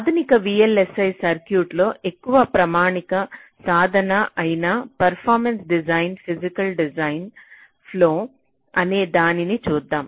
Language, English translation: Telugu, ok, so let us have a quick look at the so called performance driven physical design flow which is more or less standard practice in modern day vlsi circuits